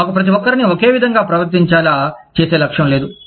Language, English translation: Telugu, We are not aiming at, making everybody, behave the same way